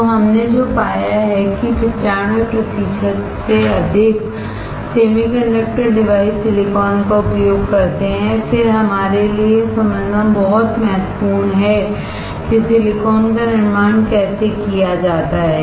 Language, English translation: Hindi, So, what we found is that more than 95 percent of semiconductor devices uses silicon, then it is very important for us to understand how the silicon is manufactured